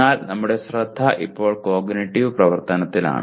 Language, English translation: Malayalam, But our focus is right now on cognitive activity